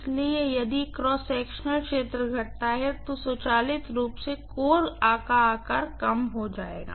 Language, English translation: Hindi, So if the cross sectional area decreases, automatically the core size will decrease